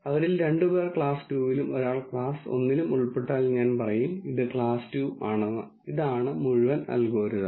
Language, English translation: Malayalam, If two of them belong to class 2 and one belongs to class 1 I say its class 2 that is it, that is all the algorithm is